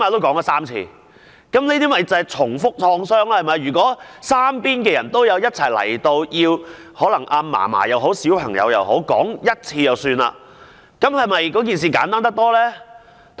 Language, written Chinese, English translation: Cantonese, 這些就是重複創傷，如果三方人員一同到場，可能小朋友或祖母只需複述1次案發經過，這樣做不是更簡單嗎？, He had to undergo the same traumatic experience repeatedly . If the three parties could arrive at the same time perhaps the child or his grandmother only needed to give an account of the incident once . Can this be simplified?